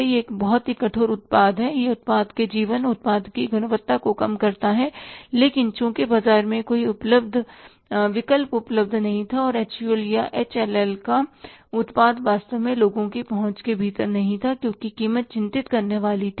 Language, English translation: Hindi, It is a very harsh product, it reduces the, say, life of the product, quality of the product, but since there is no alternative available in the market and the product of the HUL or the HL was really not within the reach of the people as far as the price was concerned, so they were bound to use the castic soda